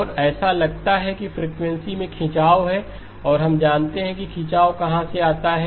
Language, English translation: Hindi, And it looks like there is a stretching in frequency and we know exactly where the stretching comes from